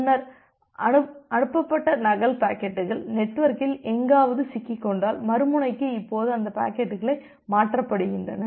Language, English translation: Tamil, So the duplicate packets which have been transmitted earlier, but that got stuck somewhere in the network, now those packets have been being transferred to the other end